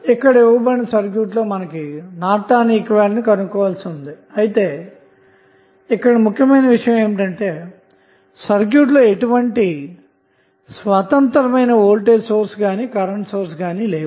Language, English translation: Telugu, In this case, we need to find out the Norton's equivalent, but the important thing which we see here that this circuit does not have any independent voltage or current source